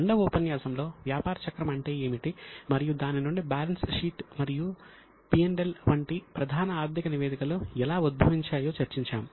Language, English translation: Telugu, In the second session we discussed what is a business cycle and from that how the main financial statements that is balance sheet and P&L account emerges